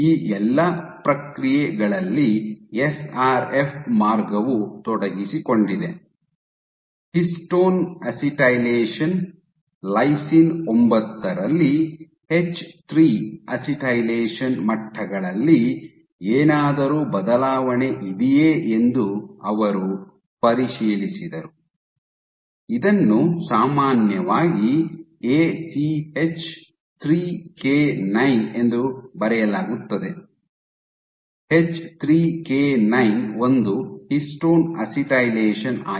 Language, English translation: Kannada, So, SRF pathway is involved in all of these processes, what they then checked was whether there was any alteration in histone acetylation, H3 acetylation levels at lysine 9 this is typically written as ACH3K9, H3K9 is a histone acetylation